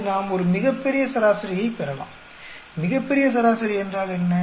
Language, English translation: Tamil, Now we can get a grand average, what is grand average